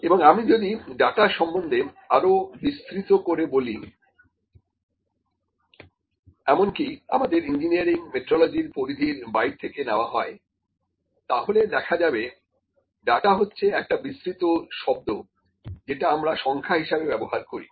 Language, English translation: Bengali, And if I talk about a data broadly like even out of the scope of our engineering metrology, data is a very wide or broad term that is used for the numbers